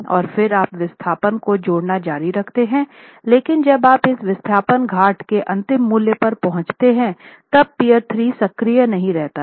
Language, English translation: Hindi, Then continue adding the displacements, but when you reach this displacement, at this displacement, peer 3 has reached its ultimate value